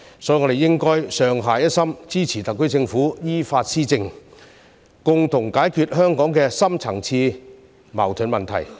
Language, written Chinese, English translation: Cantonese, 所以，我們應該上下一心，支持特區政府依法施政，共同解決香港的深層次矛盾問題。, Therefore we should be united and support the SAR Government to govern according to the law and resolve the deep - seated conflicts in Hong Kong together